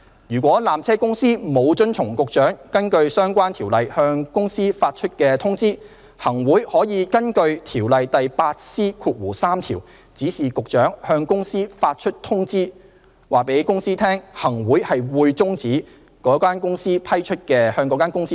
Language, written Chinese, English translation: Cantonese, 如果纜車公司沒有遵從局長根據相關條例向公司發出通知，行會可根據《條例》第 8C3 條指示局長向公司發出通知，告知公司行會擬終止向公司批出的經營權。, If PTC has failed to comply with a notice issued to it by SCED under the relevant ordinance the Chief Executive in Council may under section 8C3 of PTO direct SCED to issue a notice to the company informing the company of the intention of the Chief Executive in Council to terminate the operating right granted to the company